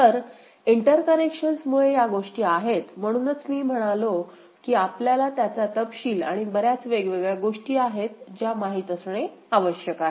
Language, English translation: Marathi, So, these are the things because of the interconnections, so that is why I said that we need to you know, see it in detail and many different things are there